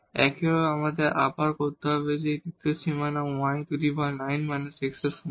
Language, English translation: Bengali, Similarly, we have to do again this third boundary y is equal to 9 minus x